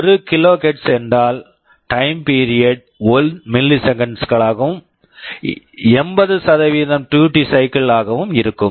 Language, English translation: Tamil, 1 KHz means the time period will be 1 milliseconds, and 80% will be the duty cycle